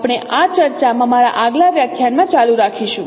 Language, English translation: Gujarati, We will continue this discussion in my next lecture